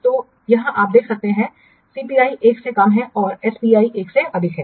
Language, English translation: Hindi, So here you can see that CPI is less than 1 and SPI is greater than 1